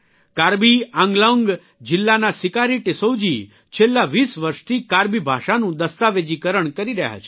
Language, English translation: Gujarati, Sikari Tissau ji of Karbi Anglong district has been documenting the Karbi language for the last 20 years